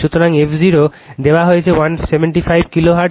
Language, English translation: Bengali, So, f 0 is given 175 kilo hertz